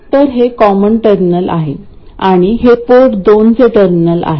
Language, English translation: Marathi, So this is the common terminal and this is the terminal for port 2 and this is the terminal for port 1